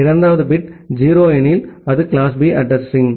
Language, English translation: Tamil, If the second bit is 0, then it is class B IP address